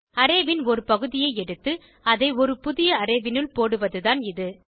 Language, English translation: Tamil, This is nothing but extracting part of an array and dumping it into a new array